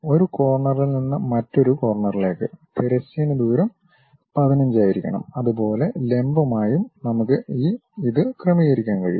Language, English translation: Malayalam, From one of the corner to other corner, the horizontal distance supposed to be 15; similarly, vertical also we can adjust it